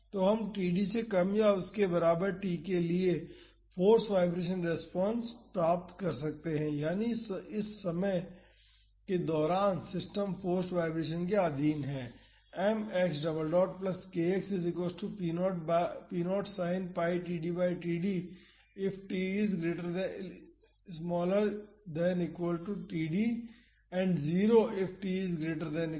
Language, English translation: Hindi, So, we can find the force vibration response for t less than or equal to td, that is during this time the system is under forced vibration